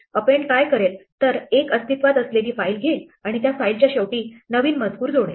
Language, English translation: Marathi, What append will do is it will take a file which already exists and add the new stuff the writing at the end of the file